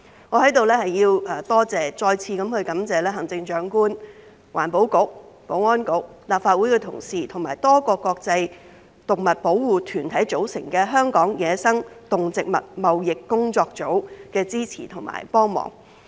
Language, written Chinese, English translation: Cantonese, 我在此要再次感謝行政長官、環境局、保安局、立法會的同事和由多個國際動物保護團體組成的香港野生動植物貿易工作組的支持和幫忙。, I hereby thank once again the Chief Executive the Environment Bureau the Security Bureau colleagues in the Legislative Council and the Hong Kong Wildlife Trade Working Group which comprises a number of international animal protection organizations for their support and assistance